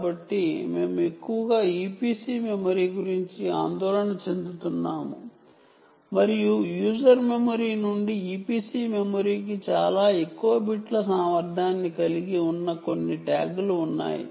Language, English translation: Telugu, so we are mostly worried about e p c memory and there are some tags that have the capability of a lot more bits to the e p c memory from the user memory